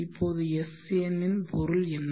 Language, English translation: Tamil, Now what is the meaning of sn